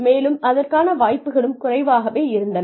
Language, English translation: Tamil, And, the opportunities were also limited